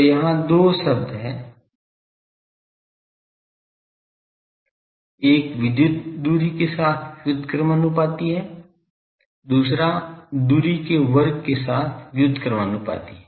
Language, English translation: Hindi, So, there are two terms one is varying inversely with electrical distance, another is varying inversely with the square of the distance